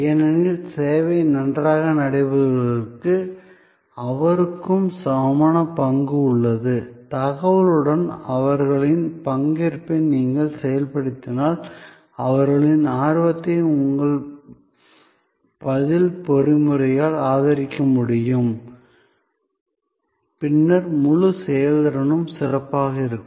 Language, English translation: Tamil, Because, he or she also has equal stake that the service goes well, if you enable their participation with knowledge, with information, their eagerness is supported by your response mechanism, then on the whole performance will be better